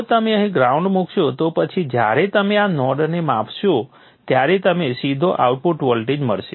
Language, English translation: Gujarati, If we keep the ground here then when you measure this node you will get directly the output voltage